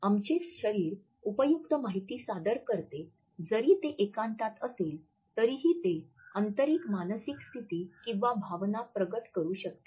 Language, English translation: Marathi, Our body presents useful information even when it is isolated and even in solitude it can reveal internal mental states or emotions to any person